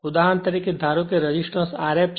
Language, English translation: Gujarati, For example, suppose this resistance is R f right